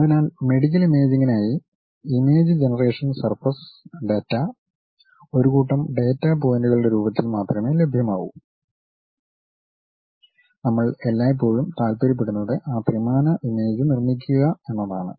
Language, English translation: Malayalam, So, for medical imaging image generation surface data is available only in the form of set of data points and what we all all the time interested is constructing that 3D image